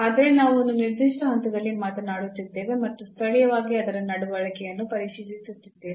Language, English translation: Kannada, But we are talking about at a certain point and checking its behavior locally